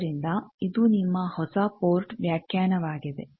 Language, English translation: Kannada, So, this will be your new port definition